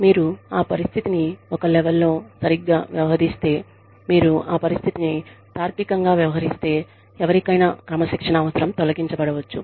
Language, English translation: Telugu, If you deal with that situation, properly, if you deal with that situation, with a level head, if you deal with that situation, logically, the need to discipline, anyone, could be removed